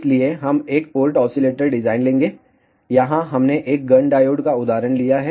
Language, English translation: Hindi, So, we will take a one port oscillator design here we have taken an example of a Gunn diode